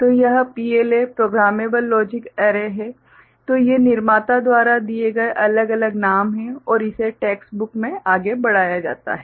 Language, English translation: Hindi, So, this is the PLA right, Programmable Logic Array, so these are different names given by the manufacturer and that is carried forward in the textbooks ok